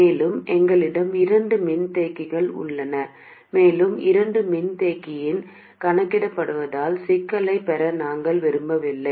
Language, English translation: Tamil, And also we have two capacitors and we don't want to get into the complication of calculating with both capacitors in place